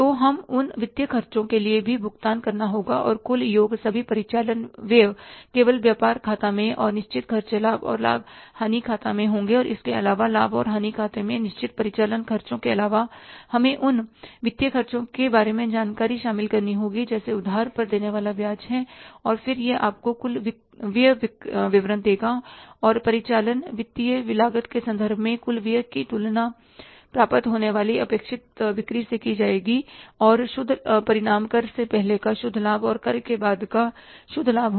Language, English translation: Hindi, Variables will be only in the trading account, in the fixed will be in the profit and loss account and apart from the fixed operating expenses in the profit and loss account, we will have to include the information about the financial expenses that is the interest on borings and then that will give you the total expenditure statement and that total expenditure in terms of operating and financial cost has to be compared with the sales expected to be achieved and the net result will be the net profit before tax and net profit after tax